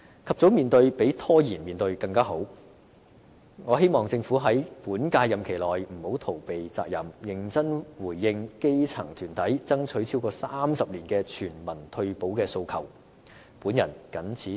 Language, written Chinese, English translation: Cantonese, 及早面對比拖延面對更好，我希望政府在本屆任期內不要逃避責任，認真回應基層團體爭取超過30年的全民退休保障的訴求。, We had better address this issue promptly than to stall on it . I hope that in its current term the Government will not evade its responsibility but will seriously respond to the demand for universal retirement protection that has been voiced by grass - roots organizations for over three decades